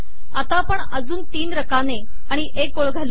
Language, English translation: Marathi, Now let us add three more columns and one more row